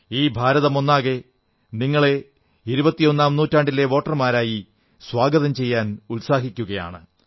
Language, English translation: Malayalam, The entire nation is eager to welcome you as voters of the 21st century